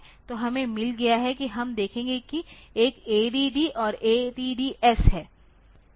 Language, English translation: Hindi, So, we have got we will see one is ADD another is ADD S